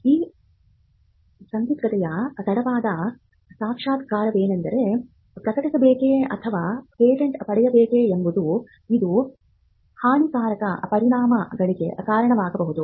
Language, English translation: Kannada, Late realization of this dilemma whether to publish or to patent could lead to disastrous consequences